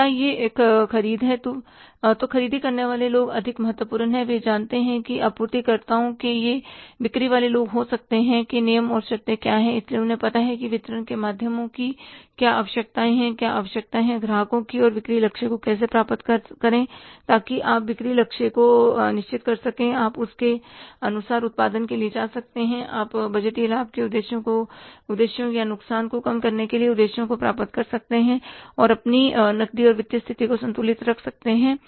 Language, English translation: Hindi, So, whether it is a purchase, so purchase people are more important, they know that what are the terms and conditions of suppliers or it may be the sales people, so they know what are the requirements of channels of distribution, what are the requirements of the customers and how to achieve the sales target so that you can fix up the sales target, you can go for the production accordingly, you can achieve the budgeted profit objectives or the loss minimizing objectives and keeping your cash in the financial position balanced